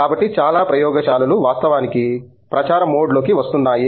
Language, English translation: Telugu, So, many labs are actually getting on a campaign mode